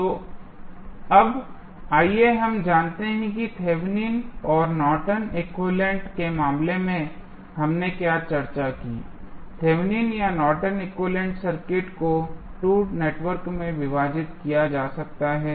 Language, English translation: Hindi, So, now, let us summarize what we discussed in case of Thevenin's and Norton's equivalent to determine the Thevenin's or Norton's equivalent the circuit can divided into 2 networks